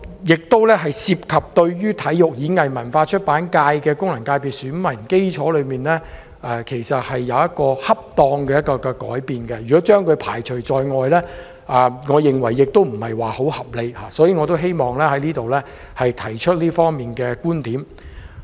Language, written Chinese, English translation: Cantonese, 這做法同樣涉及對體育、演藝、文化及出版界的功能界別選民基礎，作一個恰當的改變，如果將他們排除在外，我認為不太合理，所以我希望在此提出這方面的觀點。, This approach also involves the electorate of the Sports Performing Arts Culture and Publication Functional Constituency to which suitable changes should be introduced . I think it is unreasonable that they are excluded . Hence I wish to express this opinion here